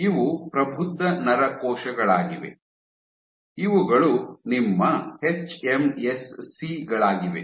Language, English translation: Kannada, So, this is matured neuronal cells, these are your hMSCs